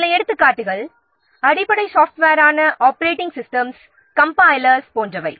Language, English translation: Tamil, So some examples are like like the basic software like operating systems, compilers, linkers, load outs, etc